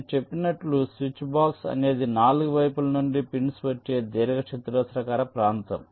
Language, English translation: Telugu, as i said, it's a rectangular region with pins coming from all four sides